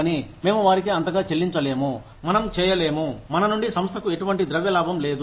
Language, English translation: Telugu, But, we cannot pay them, so much, that we do not make, any monetary profit out of our organization